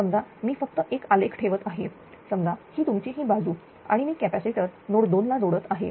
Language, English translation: Marathi, Suppose I am just putting one graph suppose this is your ah this side is your ah say I am putting a capacitor I am connecting a capacitor say at node 2